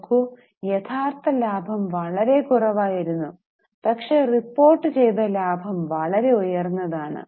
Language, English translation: Malayalam, See, the actual profit was much less but the reported profit was very high